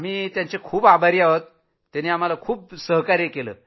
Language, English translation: Marathi, We are grateful to them for their compassion